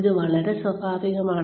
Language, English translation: Malayalam, It is very natural